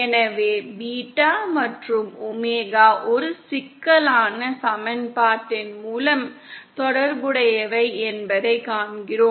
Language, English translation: Tamil, So we see that beta and omega are related by a complex equation